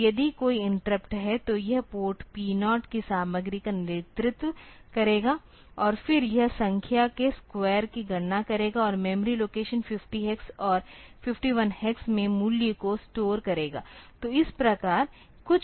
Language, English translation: Hindi, So, if there is an interrupt then this, it will lead the content of port P 0, and then it will compute the square of the number and store the value in memory location 50 hex and 51 hex